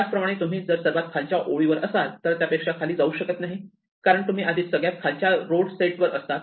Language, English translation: Marathi, Similarly if you are on the bottom row there is no way to come from below because we are already on the lowest set of roads